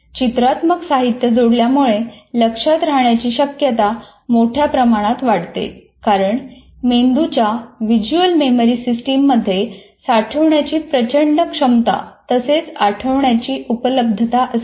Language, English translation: Marathi, Adding visual material substantially increases the chance of retention because the brain's visual memory system has an enormous capacity for storage and availability for recall